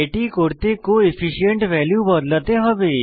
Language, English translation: Bengali, To do so, we have to change the Coefficient value